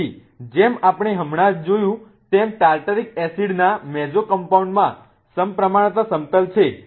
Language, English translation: Gujarati, So, as we just saw the mesocompound of Tataric acid has a plane of symmetry in it